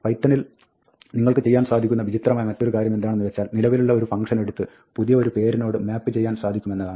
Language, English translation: Malayalam, Another thing you can do in python, which may seem a bit strange to you, is you can take an existing function, and map it to a new name